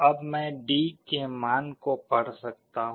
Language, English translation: Hindi, Now I can read the value of D